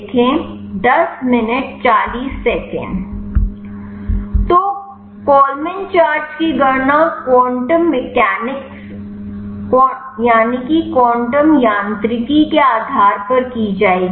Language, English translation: Hindi, So, Kollman charge will be computed based on the quantum mechanics